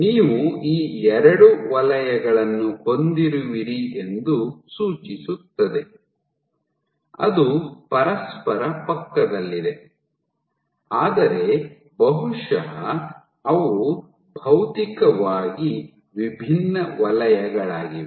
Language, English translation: Kannada, So, this suggests that you have these two zones which are right next to each other, but probably they are physically distinct zones